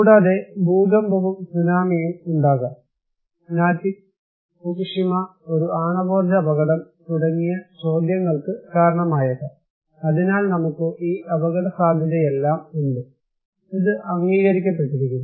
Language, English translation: Malayalam, Also, we could have earthquake and tsunami impacts and triggered Natick, kind of questions like Fukushima, a nuclear power accident so, we have all this risk right, this is accepted